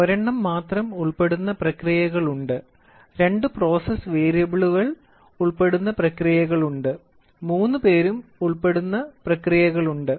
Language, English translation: Malayalam, So, in there are processes where only one is involved, there are processes where two thing two process variables are involved, there are where are all the three is involved